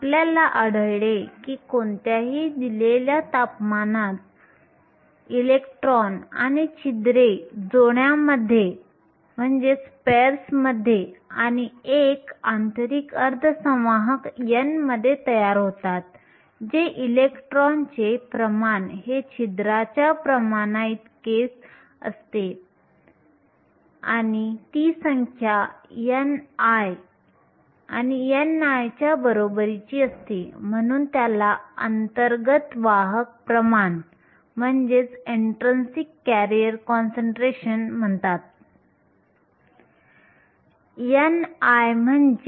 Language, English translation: Marathi, We found that at any given temperatures, electrons and holes are created in pairs and in an intrinsic semiconductor n, which is the concentration of electrons is equal to the concentration of the holes and it is equal to a number n i and n i, we called as the intrinsic career concentration